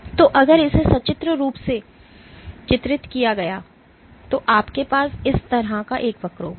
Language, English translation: Hindi, So, if I were to pictorially depicted you would have a curve like this